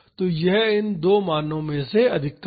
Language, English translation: Hindi, So, that is the maximum of these two values